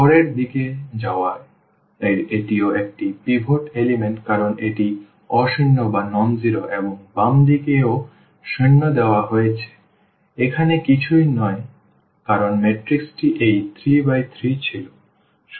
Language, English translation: Bengali, Going to the next this is also a pivot element because this is nonzero and everything left to zero and there is nothing here because the matrix was this 3 by 3